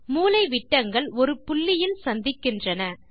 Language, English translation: Tamil, The diagonals intersect at a point